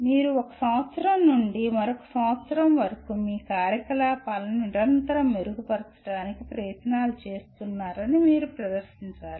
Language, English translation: Telugu, You have to demonstrate that from one year to the other you are making efforts to continuously improve your activities